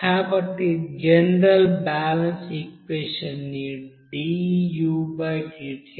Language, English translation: Telugu, So the general balance equation can be written as